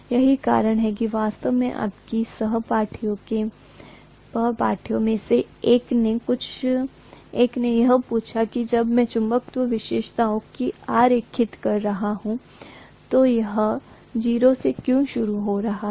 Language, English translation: Hindi, That is the reason why what actually one of your classmate just asked when I was drawing the magnetization characteristics, why it is starting from 0